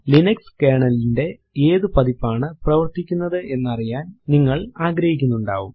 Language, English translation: Malayalam, You may want to know what version of Linux Kernel you are running